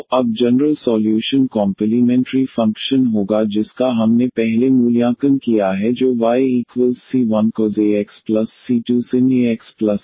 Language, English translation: Hindi, So, the general solution now will be the complementary function which we have evaluated earlier that was c 1 cos a x plus c 2 sin a x and this particular integral